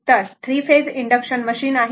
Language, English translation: Marathi, Then, 3 phase induction machine